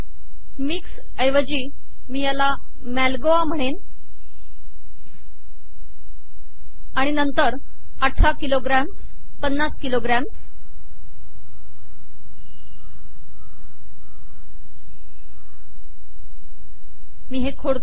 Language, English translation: Marathi, Let me split this mango, instead of mixed let me call this Malgoa, and then 18 kilograms 50 kilograms let me delete this okay